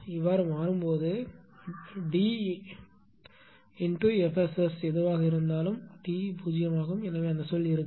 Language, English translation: Tamil, So, d into whatever the delta F S S is 0; so, that term will not be there